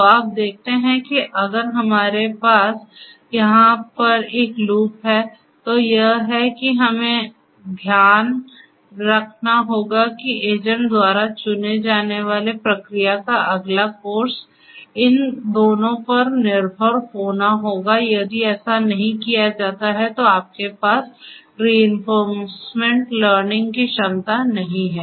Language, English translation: Hindi, So, you see even if we have a loop over here it is it we have to keep in mind in reinforcement learning that the next course of action that the agent will choose has to be dependent on these two; if that is not done then you know you do not have the reinforcement learning